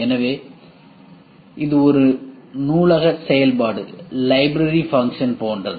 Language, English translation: Tamil, So, what is that it is something like a library function